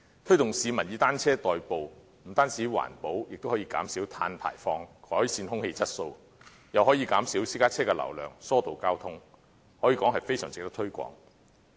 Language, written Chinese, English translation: Cantonese, 推動市民以單車代步，不但環保，亦可減少碳排放，改善空氣質素，又可以減少私家車的流量，疏導交通，可以說是非常值得推廣。, To encourage the public to commute by bicycles is not only environmentally - friendly but it can also reduce carbon emissions improve air quality while reducing the flow of private vehicles to ease traffic congestion . It can be said that this idea is very worthwhile to promote